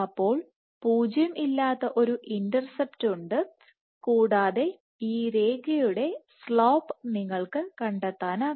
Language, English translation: Malayalam, So, has a nonzero intercept and you can also find out the slope of this line the slope of this line was roughly 5